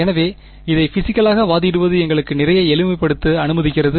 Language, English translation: Tamil, So, just arguing this physically allows us a lot of simplification